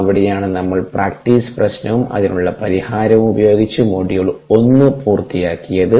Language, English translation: Malayalam, that is where we finished up module one with a practice problem and a solution to that